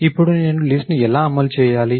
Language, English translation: Telugu, So, now how do I implement the list